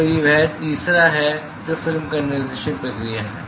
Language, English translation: Hindi, So, that is the third one which is the film condensation process